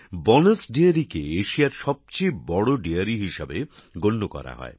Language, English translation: Bengali, Banas Dairy is considered to be the biggest Dairy in Asia